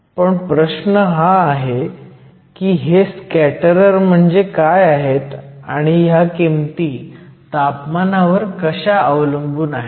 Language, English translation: Marathi, Now, the question is what are these scatterers that we talk about, and how do these values depend on temperature